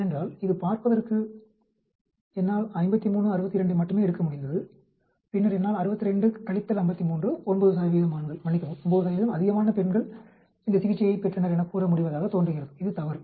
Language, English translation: Tamil, Because this looks like can I just take 53, 62 and then I will say 62 minus 53 calling it 9 percent of men sorry 9 percent of more women received this therapy that is wrong